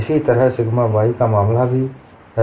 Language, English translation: Hindi, Similarly is the case for sigma y